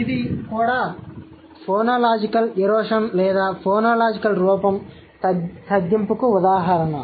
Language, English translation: Telugu, So, this is also an instance of phonological erosion, right, or a reduction of the phonological form